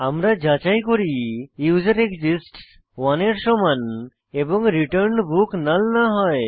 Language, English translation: Bengali, We check if userExists is equal to 1 and return book is not equal to null